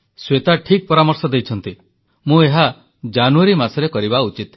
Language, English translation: Odia, And Shweta is right that I should conduct it in the month of January